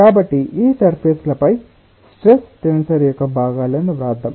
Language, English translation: Telugu, so let us write the components of the stress tensor on these surfaces